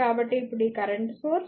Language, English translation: Telugu, So, this is a current source